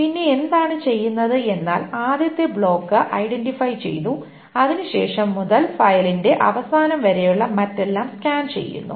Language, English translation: Malayalam, Then what it is being done is that the first block is identified and from then onwards everything else to the end of the file is being scanned